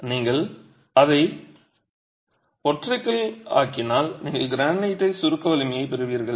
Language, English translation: Tamil, If you make it monolithic, you are going to get the granite compressive strength